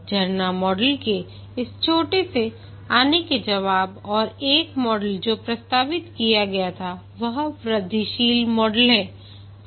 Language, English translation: Hindi, In response to this shortcoming of the waterfall model, one model that was proposed is the incremental model